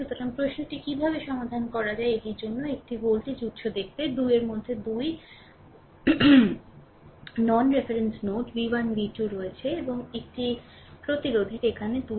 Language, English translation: Bengali, So, question is how to solve it look one voltage source is there eh in between you have 2 non reference node v 1 v 2 and one resistance is also here 2 ohm resistance right